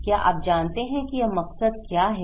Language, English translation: Hindi, Do you know what is this motive